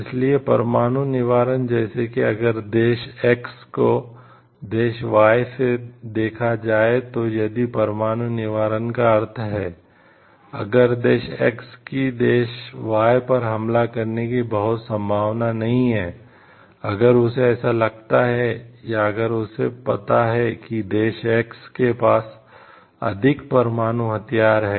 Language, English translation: Hindi, So, nuclear deterrence like if country X views like the country Y if nuclear deterrence means like, if the country X is very much unlikely to attack country Y, if it feels like the or if it knows like the country X has more nuclear weapons